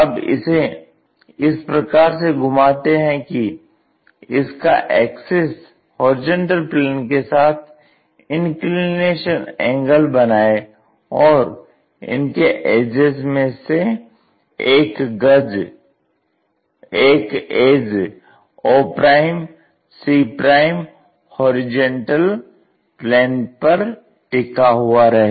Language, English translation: Hindi, Now, rotate in such a way that this axis makes an inclination angle with the plane, horizontal plane and one of the edges will be resting on this plane